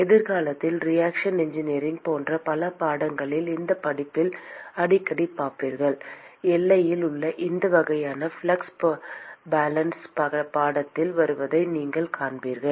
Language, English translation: Tamil, You will see very often, just in this course in several other courses in reaction engineering etc in the future you will see that these kinds of flux balances at the boundary will come into picture